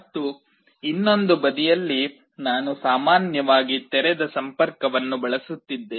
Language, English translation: Kannada, And on the other side I am using the normally open connection